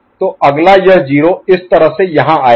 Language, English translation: Hindi, So, next this 0 will come over here like this, right